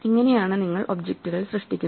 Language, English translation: Malayalam, This is how you create objects